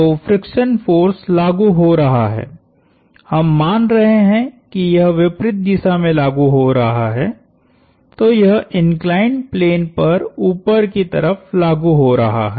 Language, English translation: Hindi, So, the friction force is acting, we assumed it is acting opposite to the, it is acting up the inclined plane